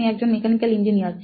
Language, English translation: Bengali, I am a mechanical engineer